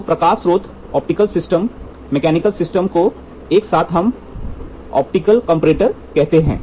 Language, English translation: Hindi, So, light source optical system, mechanical system put together called as optical comparator